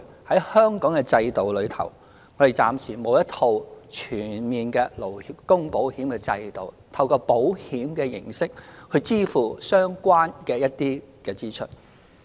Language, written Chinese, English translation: Cantonese, 在香港的制度中，我們暫時沒有一套全面的勞工保險制度，透過保險形式支付一些相關支出。, Under the system of Hong Kong a comprehensive labour insurance system is not available for the time being to settle some related costs through insurance